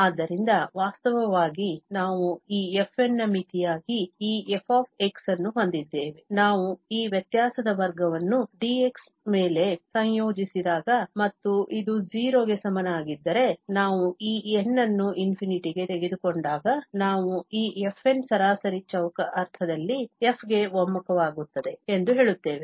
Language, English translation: Kannada, So, f minus f, actually we have this f as the limit of this fn, when we integrate the square of this difference over dx, and if this is equal to 0, when we take this n approaches to infinity then we say that this fn converges to f in the mean square sense